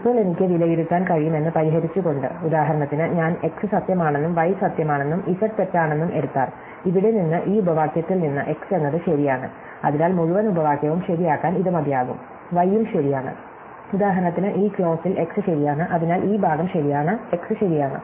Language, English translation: Malayalam, Now, having fixed that I can evaluate, so for example, if I take x to be true, y to be true and z to be false, then here for instance in this clause, x is true so that is enough to make the whole clause true, y is also true, in this clause for instance x is true, so this part is true, x is true